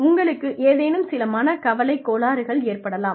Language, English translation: Tamil, You could be prone to, some anxiety disorders